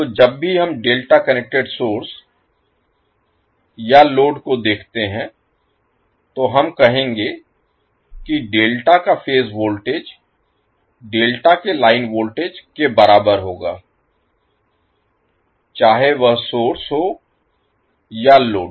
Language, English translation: Hindi, So whenever we see the delta connected source or load, we will say that the phase voltage of the delta will be equal to line voltage of the delta whether it is source or load